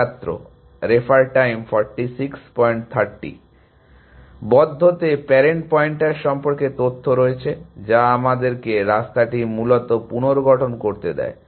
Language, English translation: Bengali, Closed has all the information about parent pointers, which allows us to reconstruct the path essentially